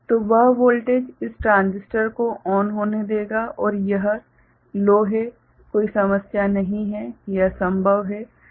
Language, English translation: Hindi, So, that voltage will allow this transistor to go ON right and this is low there is no issue, it is possible